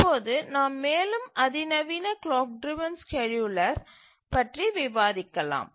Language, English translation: Tamil, Now let's look at more sophisticated clock driven scheduler